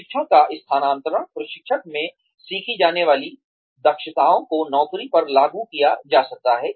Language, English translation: Hindi, Transfer of training is, the extent to which, competencies learnt in training, can be applied on the jobs